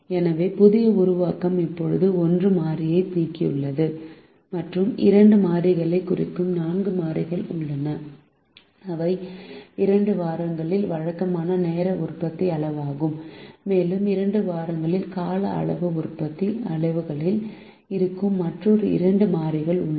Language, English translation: Tamil, so the new formulation now has eliminated one variable, has four variable and has four variables which represent the two variables which are regular time production quantities in the two weeks and other two variables which are over time production quantities in the two weeks